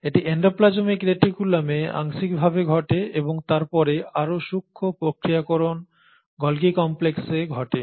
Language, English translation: Bengali, So that happens partly in the endoplasmic reticulum and then the further fine processing happens in the Golgi complex